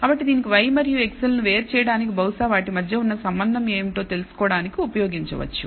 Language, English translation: Telugu, So, that can be used to distinguish maybe to look for the kind of relationship between y and x